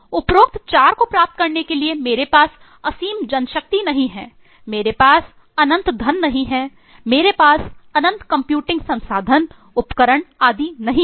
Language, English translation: Hindi, In order to achieve the above 4, I do not have infinite manpower, I do not have infinite eh money, I do not have infinite computing resources etc and so on